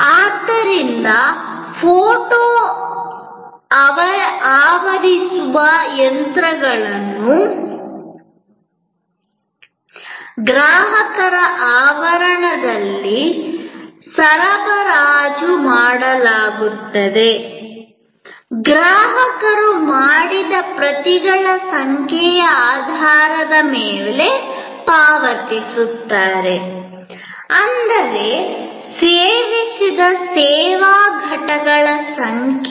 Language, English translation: Kannada, So, photo copying machines are supplied at the customers premises, the customer pays on the basis of base of number of copies made; that means number of service units consumed